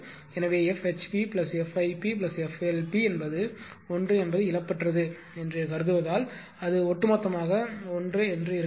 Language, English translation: Tamil, So, it may be noted that F HP plus F IP plus F LP is 1 assuming the lossless so altogether it should be 1